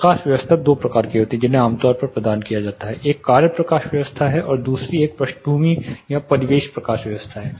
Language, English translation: Hindi, There are two types of lights lighting which has to be provided typically one is task lighting and other is a background or ambient lighting